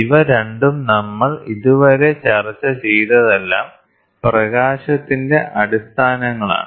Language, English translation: Malayalam, So, these two whatever we have discussed till now is the basics of light